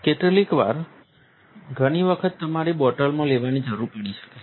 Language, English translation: Gujarati, Sometimes you may need to take several times in the bottle